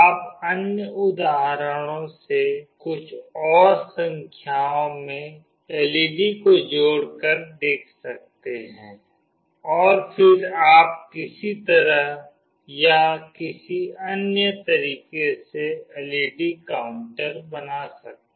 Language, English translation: Hindi, You can try out other examples connecting a few more number of LED’s and then you can make a LED counter in some way or the other